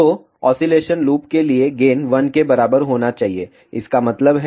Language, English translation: Hindi, So, the oscillation condition is nothing but loop gain should be equal to 1